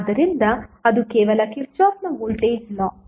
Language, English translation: Kannada, So that is simply the Kirchhoff’s voltage law